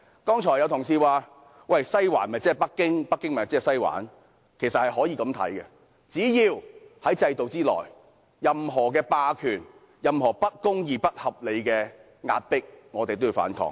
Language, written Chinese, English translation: Cantonese, 剛才有同事說，"西環"就是北京，北京就是"西環"，其實，只要在制度內出現任何霸權、不公義和不合理的壓迫，我們都要反抗。, A colleague has just said that Western District is Beijing and Beijing is Western District . In fact as long as there is hegemony injustice and unreasonable oppression in the system we must resist that